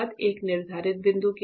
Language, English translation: Hindi, So, what is a set point